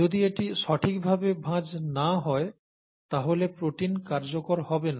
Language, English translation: Bengali, If that doesnÕt fold properly, then the protein will not be functional